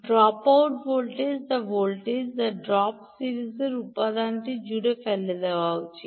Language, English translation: Bengali, right, the dropout voltage, that is the voltage that drop, should be dropped across the series element